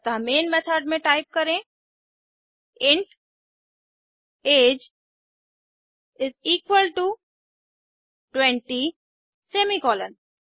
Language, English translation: Hindi, So type inside the main method int age is equal to 20 semi colom